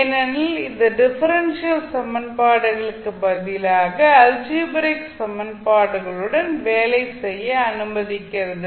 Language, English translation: Tamil, So differential equation solution becomes little bit complex while when we compare with the algebraic equations